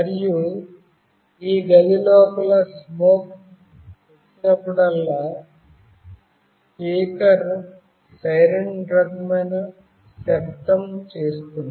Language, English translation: Telugu, And whenever there is a smoke inside this room, the speaker will make a siren kind of sound